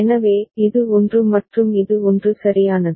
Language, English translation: Tamil, So, this is 1 and this is 1 right